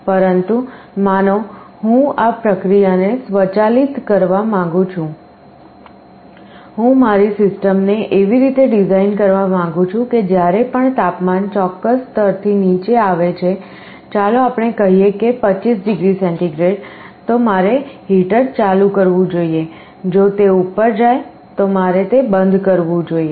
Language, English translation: Gujarati, But, suppose I want to automate this process, I want to design my system in such a way that whenever the temperature falls below a certain level, let us say 25 degree centigrade, I should turn on the heater, if it is above I should turn off